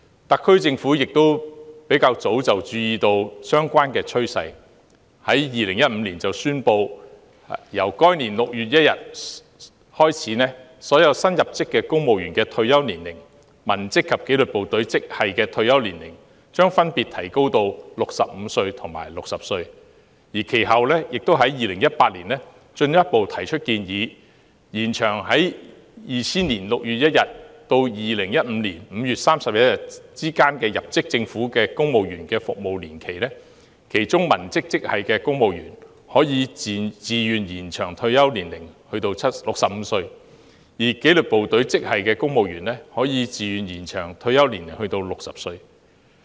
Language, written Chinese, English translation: Cantonese, 特區政府亦早已注意到這趨勢，並在2015年宣布由該年6月1日開始，所有新入職的公務員、文職及紀律部隊職系的退休年齡將分別提高至65歲及60歲，其後在2018年更進一步提出建議，延長在2000年6月1日至2015年5月31日之間入職政府的公職員服務年期，其中文職職系的公務員可以自願延長退休年齡至65歲，而紀律部隊職系的公務員則可以自願延長退休年齡至60歲。, Noting this trend long ago the SAR Government announced in 2015 that since 1 June of that year the retirement age of all new recruits to the civilian grades and disciplined services grades would be raised to 65 and 60 respectively . Later in 2018 it further proposed to extend the term of service of serving civil servants who joined the Government between 1 June 2000 and 31 May 2015 such that the civilian grades may choose to extend their retirement age to 65 whereas the disciplined services grades may choose to extend to 60